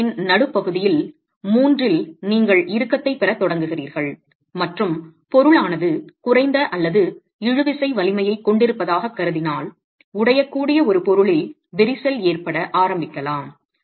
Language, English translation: Tamil, But the moment the resultant falls outside the middle third of the cross section, you start getting tension and if the material is assumed to have low or no tensile strength, you can start getting cracking in the, in a material which is brittle